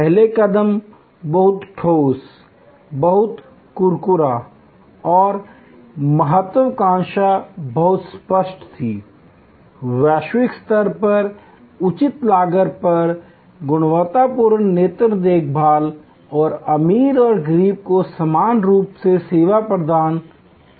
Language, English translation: Hindi, First step, very concrete, very crisp and the ambition was very clear, quality eye care at reasonable cost at global standard and provides service to rich and poor alike